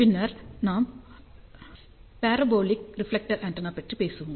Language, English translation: Tamil, And then we will talk about parabolic reflector antenna